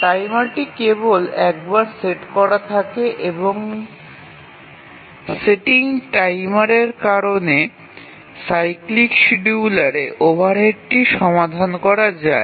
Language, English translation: Bengali, Timer is set only once and the overhead due to setting timer is largely overcome in a cyclic scheduler